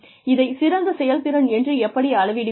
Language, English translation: Tamil, How will you measure this better performance